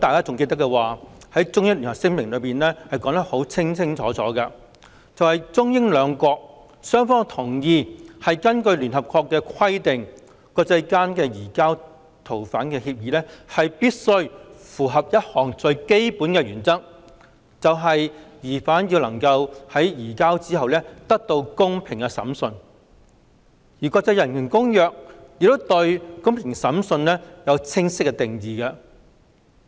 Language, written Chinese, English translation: Cantonese, 《中英聯合聲明》已清楚指出，中英兩國同意根據聯合國的規定，國際間移交逃犯的協議必須符合一項最基本原則，就是疑犯在移交後能夠得到公平審訊，而國際人權公約亦對"公平審訊"有清晰的定義。, The Sino - British Joint Declaration has clearly stipulated that both China and Britain agreed that in accordance with the requirements of the United Nations international agreements on surrender of fugitives must comply with the most fundamental principle that a suspect can be given a fair trial after the surrender; and fair trial has been clearly defined in international human rights treaties